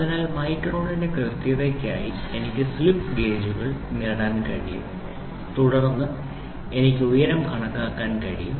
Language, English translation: Malayalam, So, what is that to accuracy of micron I am able to get the slip gauges then I am able to builds the height